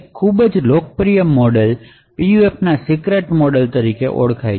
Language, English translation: Gujarati, So one very popular model is something known as the secret model of PUF